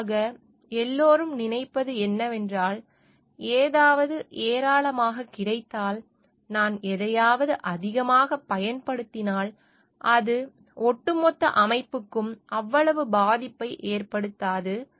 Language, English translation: Tamil, What generally everyone thinks of like, if something is available in plenty, and if I am using something a bit more, it may not provide that much harm to the whole system